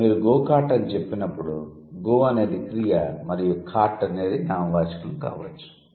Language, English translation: Telugu, So, go kart when you say, go is the verb and cart could be the noun